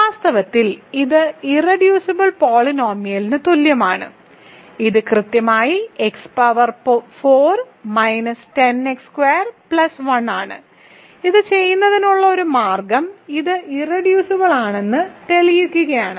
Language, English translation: Malayalam, In fact, it is equal to the irreducible polynomial is it is exactly x power 4 minus 10 x squared plus 1, one way to do this is sure that this is irreducible